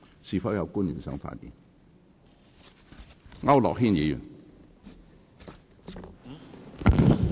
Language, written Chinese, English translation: Cantonese, 是否有官員想發言？, Does any public officer wish to speak?